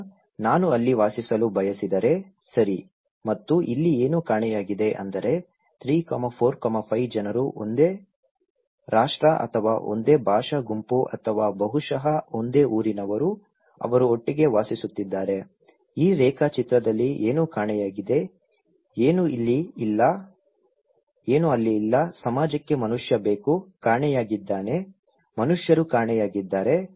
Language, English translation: Kannada, Now, if I want to live there, okay and what is missing here like 3, 4, 5 people coming from same nations or same linguistic group or maybe same hometown, they are living together, what is missing there in this diagram, what is not there; that a society needs a human being are missing, human beings are missing